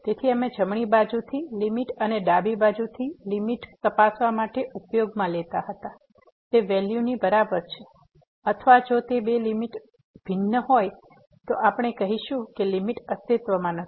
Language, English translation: Gujarati, So, we used to check the limit from the right side and limit from the left side and if they are equal, then we say that the limit exist and limit is equal to that value or if those two limits are different then, we call that the limit does not exist